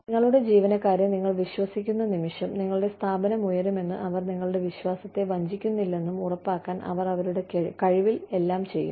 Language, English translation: Malayalam, The minute, you trust your employees, they will do everything, in their capacity, to make sure that, your organization rises, that they do not betray your trust